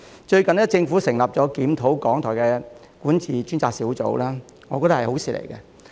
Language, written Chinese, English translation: Cantonese, 最近，政府成立檢討港台管治的專責小組，我覺得是好事。, I think it is a good thing that the Government has recently established a dedicated team to review the governance of RTHK